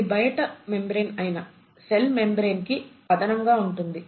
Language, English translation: Telugu, So it is like an addition to the cell membrane which is the outermost membrane